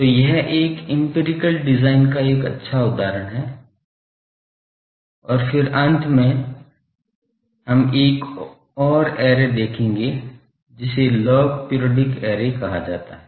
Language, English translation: Hindi, So, this is a good example of an empirical design, and then finally, we will see another array that is called log periodic array